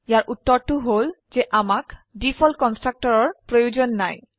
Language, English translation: Assamese, The answer is we dont need the default constructor